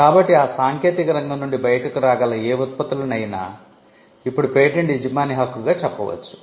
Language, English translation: Telugu, So, whatever products that can come out of that technological area can now be carved as a right by the patent holder